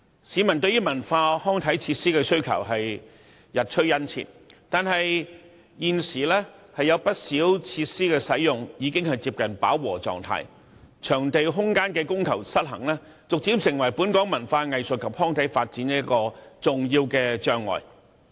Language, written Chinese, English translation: Cantonese, 市民對於文化、康體設施的需求日趨殷切，但現時有不少設施的使用量已接近飽和狀態，場地空間的供求失衡，逐漸成為本港文化藝術及康體發展的一大障礙。, While the public demand for cultural recreational and sports facilities is on the rise the utilization rate of many facilities is approaching capacity at present . The unbalanced demand and supply of venues have gradually created a major barrier to the development of the local culture arts recreation and sports